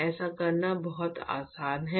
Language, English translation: Hindi, In fact, it is very very easy to do this